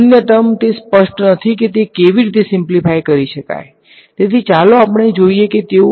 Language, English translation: Gujarati, The other terms it is not very clear how they will get simplified ok, so, let us let us see how they will